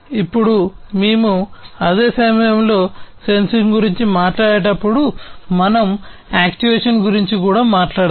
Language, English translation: Telugu, Now, when we talk about sensing at the same time we also need to talk about actuation